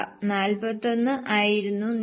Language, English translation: Malayalam, 41 was the tax